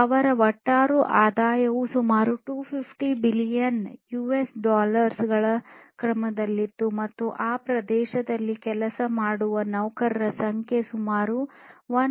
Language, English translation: Kannada, And their overall revenues were in the order of about 250 billion US dollars and the number of employees working in that area was about 1